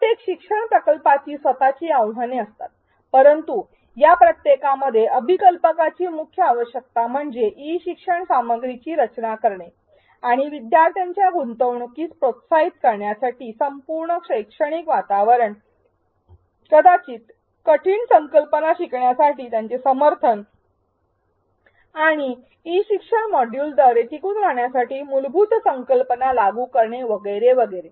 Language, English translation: Marathi, Every learning project has its own challenges, but in each of these a key requirement for the designer is to design e learning content and the entire learning environment to promote engagement of learners, to support them to learn perhaps difficult concepts and apply the core concepts to persevere through the e learning module and so on